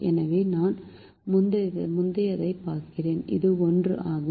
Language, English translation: Tamil, so i look at the previous one, which is one